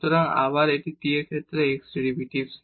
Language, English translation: Bengali, So, again this is the derivative of x with respect to t